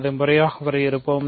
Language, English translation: Tamil, So, let us formally define that